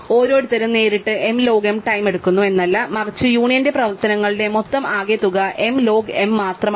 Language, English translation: Malayalam, It is not that each one takes m log m time directly, but the cumulative total of m union operations is only m log m, right